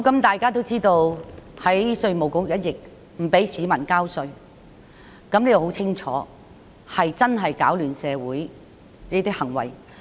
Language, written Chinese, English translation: Cantonese, 大家也知道，有人在稅務局一役中不准市民交稅，這很清楚是攪亂社會的行為。, As Members will know in the incident concerning the Inland Revenue Department some people prevented members of the public from paying tax . That was clearly an act which wreaked havoc in society